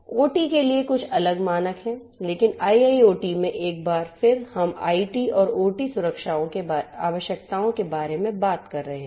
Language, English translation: Hindi, There are a few are different other standards for OT which are in place, but in IIoT once again we are talking about IT and OT security requirements working together